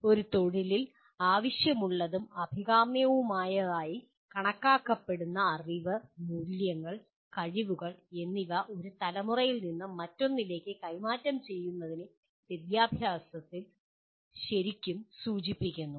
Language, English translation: Malayalam, Wherein in education really refers to transfer of accumulated knowledge, values and skills considered necessary and desirable for a profession from one generation to another